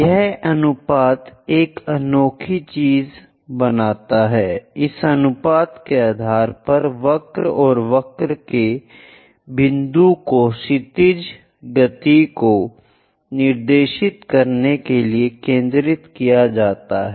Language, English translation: Hindi, This ratio makes one unique thing, based on this ratio focus to point of the curve and point of the curve to directrix horizontal thing